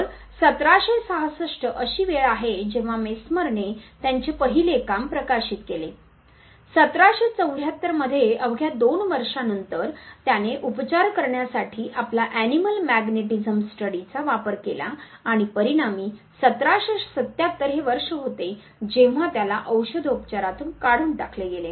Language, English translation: Marathi, So, 1766 was the time when Mesmer published his first work, 1774 just couple of year later he performed his animal magnetism study for cure and as a consequence 1777 was the year when he was expelled from the practice of medicine